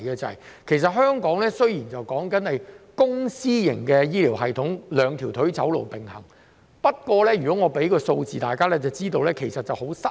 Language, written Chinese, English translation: Cantonese, 雖說香港是公私營醫療系統並行，以"兩條腿走路"，但只要大家看看數字，就會知道已經很失衡。, Although Hong Kong has been promoting public - private partnership so as to walk on two legs if we look at the figures we will know that there is already a great imbalance